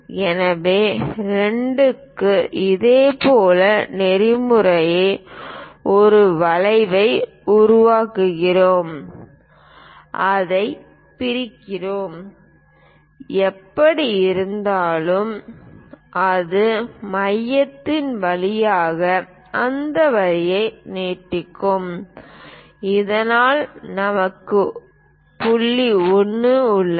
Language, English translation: Tamil, So, for 2 also we use similar protocol make an arc, divide it, anyway it will pass through the centre extend that lines so that we have point 1 also